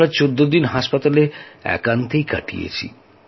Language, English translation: Bengali, And then Sir, we stayed at the Hospital alone for 14 days